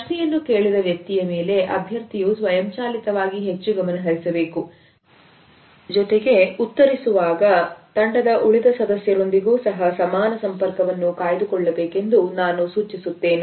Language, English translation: Kannada, I would suggest that one should focus automatically more on the person who has asked the question, but while they are answering they should also maintain an equal eye contact with the rest of the team members also